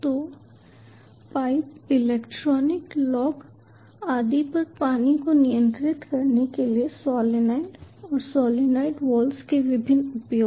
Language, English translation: Hindi, so various uses of solenoid and solenoid walls, ah for controlling water in pipes, electronic locks and so on